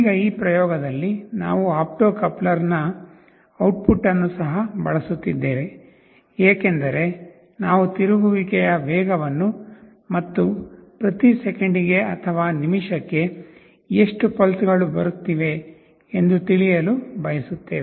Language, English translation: Kannada, Now in this experiment, we are also using the output of the opto coupler, because we want to measure the speed of rotation, how many pulses are coming per second or per minute